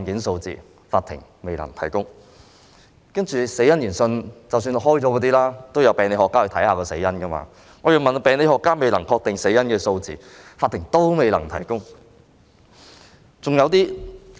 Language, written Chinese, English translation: Cantonese, 就已進行的死因研訊——即已由病理學家研究死因的案件——我查詢病理學家未能確定死因的案件數字，司法機構都未能提供。, For my question about the number of cases into which death inquests were held―that means cases for which pathologists examined the causes of death―and pathologists were unable to determine a cause of death the Judiciary again replied that it was unable to provide the information